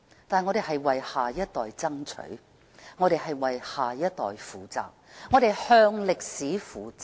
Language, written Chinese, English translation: Cantonese, 但是，我們是為下一代爭取；我們為下一代負責；我們向歷史負責。, However we are duty - bound to fight for this for our next generation . We have to be responsible for them and we have to be responsible for history as well